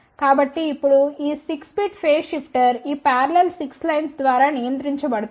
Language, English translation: Telugu, So now this 6 bit phase shifter is controlled by let us say these parallel 6 lines ok